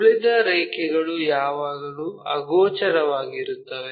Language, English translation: Kannada, The remaining lines are always be invisible